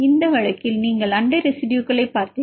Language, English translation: Tamil, For this case you looked neighboring residues